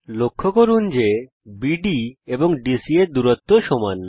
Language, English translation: Bengali, Notice that distances BD and DC are equal